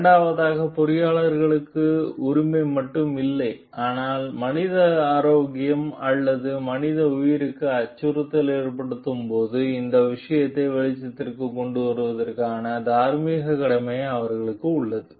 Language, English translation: Tamil, Secondly, the engineer is not only have a right, but they do have a moral obligation to bring the matter to light when it is a concern of human health and or human life which is getting threatened